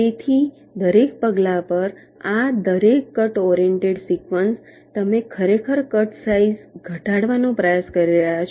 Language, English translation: Gujarati, so so each of these cut oriented sequences, at every step, you are actually trying to minimize the cutsize